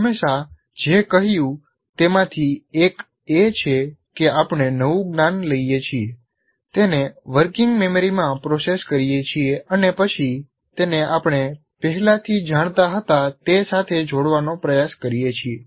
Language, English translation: Gujarati, One of the things we always said, we build our new, we take the new knowledge, process it in the working memory, and then try to link it with what we already knew